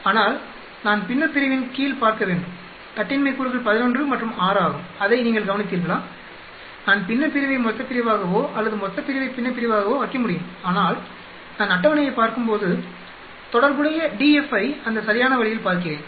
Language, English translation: Tamil, But then I should look under numerator degrees of freedom is 11 and 6 did you notice that, I can put numerator as denominator or denominator as numerator but when I look into the table I look at the corresponding df in that proper way